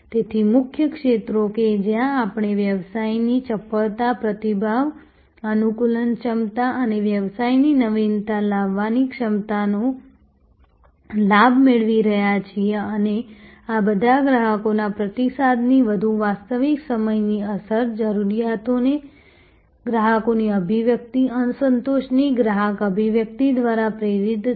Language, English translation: Gujarati, So, the key areas where we are getting advantage of business agility, responsiveness, adaptability and the ability of the business to innovate, to and all these are driven by more real time impact of customer feedback, customer articulation of needs, customer articulation of dissatisfaction or customer articulation about some service deficiency